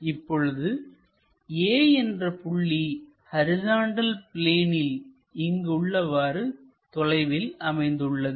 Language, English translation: Tamil, And, the point A is on horizontal plane in front of vertical plane